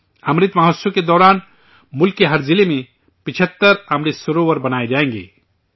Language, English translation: Urdu, During the Amrit Mahotsav, 75 Amrit Sarovars will be built in every district of the country